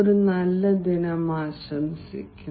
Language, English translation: Malayalam, have a nice day